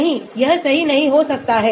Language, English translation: Hindi, No, it might not be right